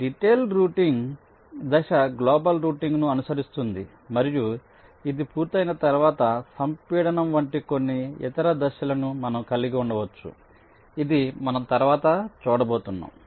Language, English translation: Telugu, so the step of detailed routing will follow global routing and once this is done, we can have some other steps, like compaction, which we shall be seeing later now